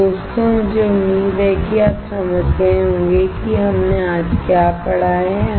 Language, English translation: Hindi, So, guys I hope that you understand what we have studied today